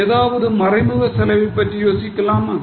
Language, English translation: Tamil, Can you think of any other example of indirect cost